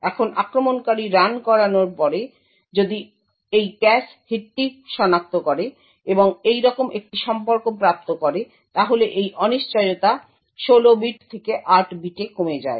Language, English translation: Bengali, Now after running the attacker if the attacker identifies this cache hit and obtains a relation like this uncertainty reduces from 16 bits to 8 bits